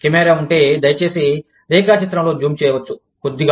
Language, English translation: Telugu, If the camera, can please be zoomed on the diagram, a little bit